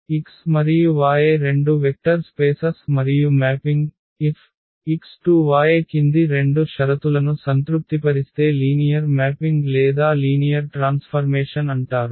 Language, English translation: Telugu, So, X and Y be two vector spaces and the mapping F from X to Y is called linear transformation or linear mapping if it satisfies the following 2 conditions